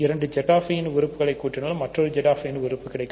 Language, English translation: Tamil, So, if you add two elements of Z[i] you get another element of Z i